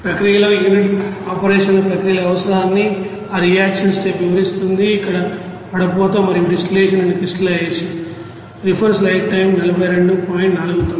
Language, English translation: Telugu, That reaction step explains the requirement of the unit operation equipment in the process are here filtration and distillation and crystallization